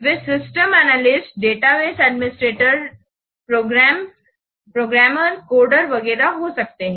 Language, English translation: Hindi, They could be, that could be system analyst, database administrators, programmers, code, etc